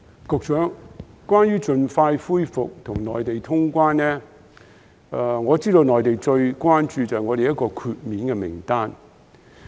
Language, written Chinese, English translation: Cantonese, 局長，關於盡快恢復與內地通關，我知道內地最關注香港的檢疫豁免名單。, Secretary regarding the early resumption of traveller clearance with the Mainland I know that the Mainland is most concerned about the list of persons exempted from quarantine